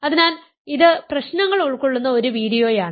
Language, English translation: Malayalam, So, this is a video containing problems